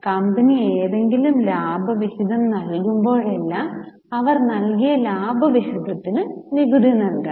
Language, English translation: Malayalam, Whenever company pays any dividend, they have to pay tax on the amount of dividend paid